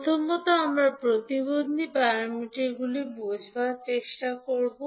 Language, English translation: Bengali, First, we will try to understand the impedance parameters